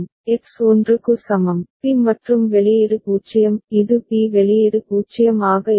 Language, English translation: Tamil, For X is equal to 1, b and output is 0; it is going to be b output is 0